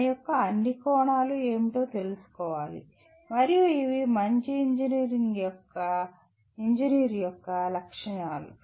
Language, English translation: Telugu, One should be aware of what are all its facets and these are broadly the characteristics of a good engineer